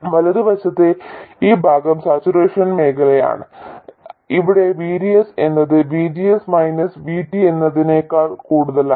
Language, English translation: Malayalam, This part to the right is the saturation region where VDS is more than VGS minus VT